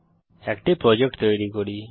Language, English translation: Bengali, Now let us create a Project